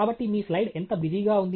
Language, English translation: Telugu, So, how busy is your slide